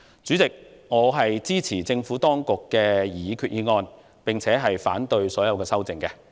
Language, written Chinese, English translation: Cantonese, 主席，我支持政府當局的擬議決議案及反對所有修訂議案。, President I support the proposed resolution of the Administration and oppose all the amendments